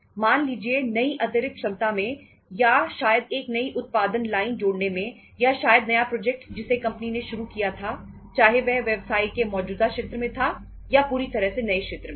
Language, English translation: Hindi, In the say new additional capacity or maybe adding a new product line or maybe say in the new project which the company started maybe whether it was it is in the same existing field of the business or it was altogether a new area